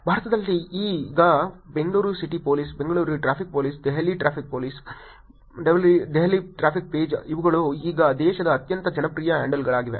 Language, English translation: Kannada, In India now, Bangalore City Police, Bangalore Traffic Police, Delhi Traffic Page, these are the very popular handles in the country now